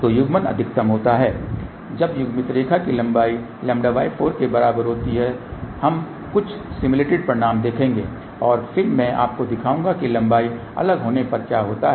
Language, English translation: Hindi, So, coupling is maximum when the length of the coupled line is equal to lambda by 4 , we will see some simulated results and then I will show you what happens when the length is different